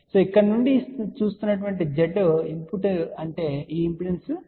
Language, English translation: Telugu, So, Z input looking from here that is this impedance Z